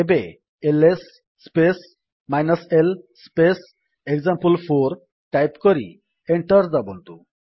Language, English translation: Odia, Now type the command: $ ls space l space example4 press Enter